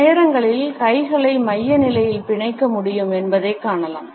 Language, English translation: Tamil, Sometimes we find that the hands can be clenched in the center position